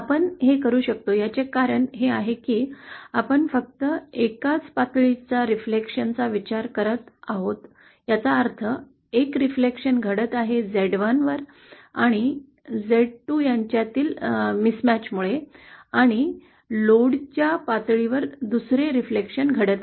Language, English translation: Marathi, The reason we can do this is because we are only considering a single level reflection which means that one reflection is happening due to the mismatch between z1& z2 & the other reflection at the low level